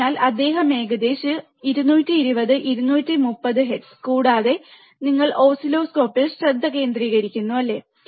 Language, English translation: Malayalam, So, he is changing from almost 220, 230 hertz, right 230 hertz, and he is changing so, guys you focus on the oscilloscope, alright